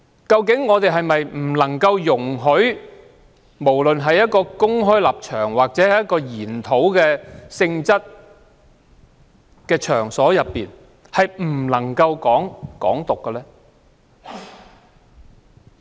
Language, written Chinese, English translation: Cantonese, 究竟是否不能容許任何人在公開場合或研討性質的場合討論"港獨"？, Is it that no one can discuss Hong Kong independence on a public occasion or at a seminar?